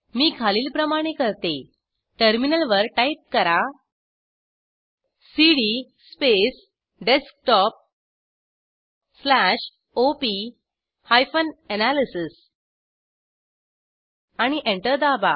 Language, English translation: Marathi, I do this as follows: On terminal, I will type cd space Desktop slash op hyphen analysis and press Enter